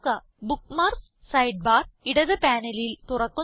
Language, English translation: Malayalam, The Bookmarks sidebar opens in the left panel